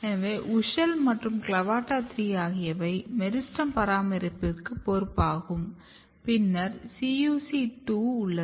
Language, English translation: Tamil, So, WUSCHEL and CLAVATA3 they are more kind of responsible for meristem maintenance then you have CUC2